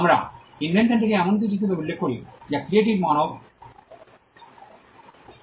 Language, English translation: Bengali, We refer to the invention as something that comes out of creative human labour